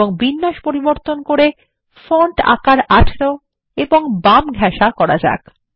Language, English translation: Bengali, Before we go ahead, let us increase the font size to 18 point